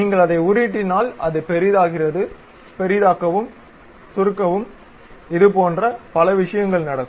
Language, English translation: Tamil, If you scroll it, it magnifies zoom in, zoom out kind of things happens